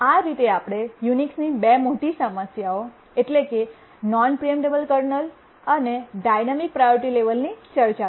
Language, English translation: Gujarati, So we just saw two major problems of Unix, non preemptible kernel and dynamic priority levels